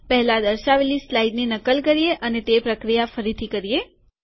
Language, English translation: Gujarati, Make a copy of the earlier shown slide and do it again